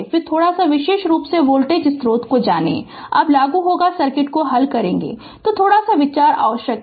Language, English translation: Hindi, So, little bit you know particularly voltage source, when you will apply when you will solve the circuit little bit idea is required